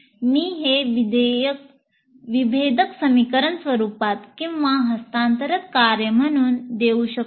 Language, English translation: Marathi, I can give it in the form of a differential equation or as a transfer function